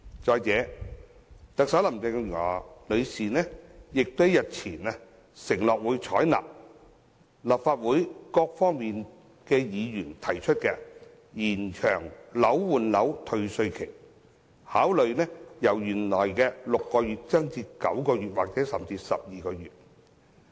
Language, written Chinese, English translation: Cantonese, 再者，特首林鄭月娥女士日前亦承諾，會採納立法會各黨派議員提出延長換樓退稅期限的建議，考慮將期限由原來的6個月延長至9個月或甚至12個月。, In addition a few days ago Chief Executive Mrs Carrie LAM undertook to adopt the proposal of Legislative Council Members from different political parties and groupings to extend the time limit for property replacement under the refund mechanism from the original 6 months to 9 or 12 months